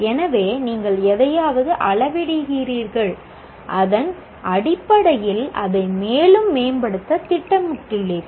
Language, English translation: Tamil, So you measure something and based on that you plan to improve it further